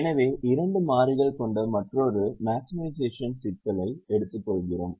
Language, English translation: Tamil, so we take another maximization problem with two variables